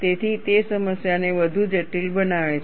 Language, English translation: Gujarati, So, that makes the problem much more complex